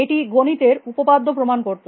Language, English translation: Bengali, It put prove theorems in mathematics